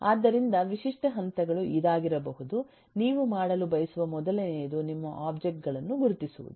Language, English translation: Kannada, so the typical stages could give, based on, the first thing you would like to iden do is to identify your objects